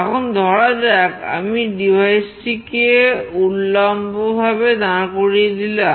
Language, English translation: Bengali, Now, let us say I have changed devices vertically